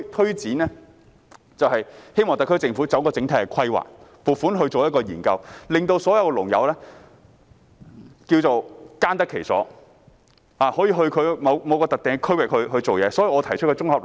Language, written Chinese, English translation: Cantonese, 因此，我們希望特區政府作出整體規劃，撥款進行研究，使所有農友耕得其所，可以到某個特定的區域工作。, Hence we hope the SAR Government will formulate an overall plan and allocate provision to conduct studies so that all farmers can engage in farming as they want in a designated area